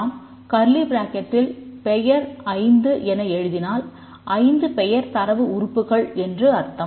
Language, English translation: Tamil, If we write name 5 that means 5 data items, 5 name data items